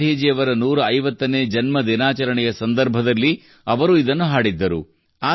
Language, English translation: Kannada, He had sung it during the 150th birth anniversary celebrations of Gandhiji